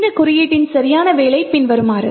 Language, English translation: Tamil, The right working of this code is as follows